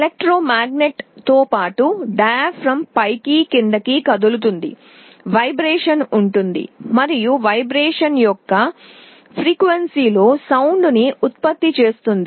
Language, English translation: Telugu, The electromagnet as well as the diaphragm will be moving up and down, there will be a vibration and the frequency of vibration will generate a sound